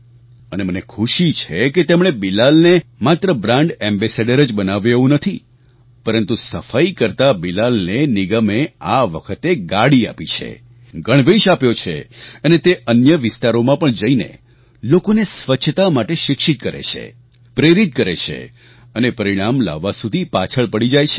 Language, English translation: Gujarati, And I am glad that they have not only appointed Bilal as their ambassador but also given him a vehicle, and also a uniform and he goes to other areas and educates people about cleanliness and inspires them and keeps tracking them till results are achieved